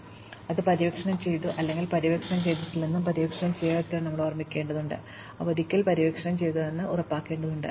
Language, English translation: Malayalam, So, we need to remember that we have explored it or not explored it and those which are not explored, we have to make sure we explore them once